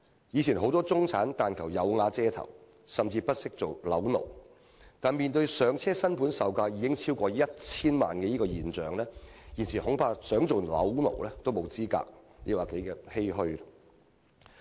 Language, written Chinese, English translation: Cantonese, 以前很多中產人士但求"有瓦遮頭"，甚至不惜做"樓奴"，但在"上車"新盤售價已經超過 1,000 萬元的情況下，現時他們即使想做"樓奴"，恐怕亦沒有資格，實在令人十分欷歔。, In the past home ownership was the greatest aspiration of many middle - class people so much so that they willingly became mortgage slaves . But nowadays with the price of first - hand starter homes easily fetching over 10 million middle - class people may not even be qualified to become mortgage slaves even if they have wanted to